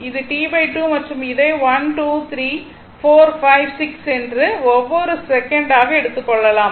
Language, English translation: Tamil, This is T by 2 and this is the this is 1, 2, 3, 4, 5, 6 if you take in second and second